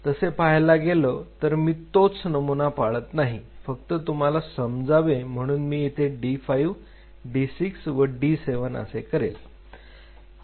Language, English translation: Marathi, So, I am not following that pattern I am just kind of for your understanding I am d 5 d 6 d 7